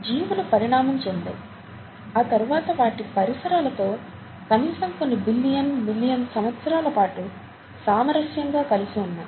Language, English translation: Telugu, Life forms have evolved, co existed in harmony with their surroundings for millions of years atleast, or even billions of years